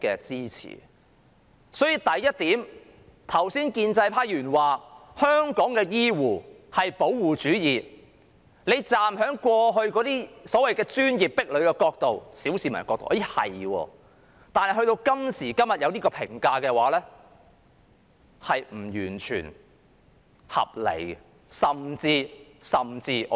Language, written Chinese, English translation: Cantonese, 因此，第一點，就建制派議員剛才指香港醫護是"保護主義"，從過去所謂的專業壁壘角度或小市民的角度，這似乎是對的，但今時今日作出這樣的評價，我認為並非完全合理，甚至是錯誤的。, Hence first regarding the comment of Members from the pro - establishment camp that healthcare workers in Hong Kong are protectionists it seems to be correct from the perspective of the so - called professional barriers in the past or that of the general public . Yet nowadays I consider it not entirely reasonable or even wrong to make such a comment